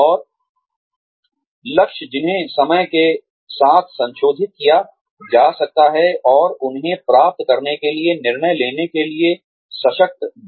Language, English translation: Hindi, And, goals, that can be modified, with the times, and empower, him or her, to make decisions, needed to get there